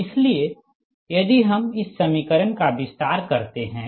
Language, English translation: Hindi, so that means your this equation, that means this equation